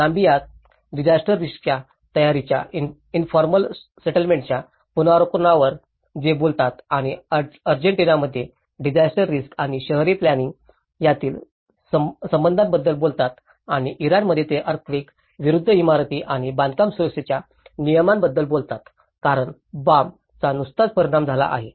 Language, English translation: Marathi, Whereas in Namibia it talks on the review of informal settlement of disaster risk preparedness and in Argentina they talk about the relationship between disaster risk and urban planning and in Iran they talk about the building and construction safety regulations against earthquake because Bam has been affected by recent earthquake at that time and that side talked about the earthquake safety in very particular